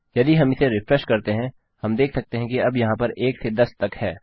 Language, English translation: Hindi, If we refresh this, we can see theres 1 to 10 now